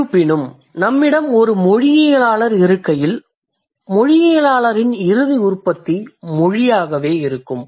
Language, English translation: Tamil, However, when we have a linguist with us, the end product for a linguist is going to be language itself